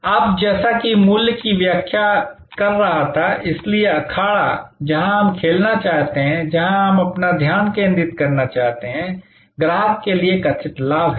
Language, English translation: Hindi, Now, as I was explaining the value, which is therefore, the arena ever where we want to play, where we want to focus our attention is the perceived benefits to customer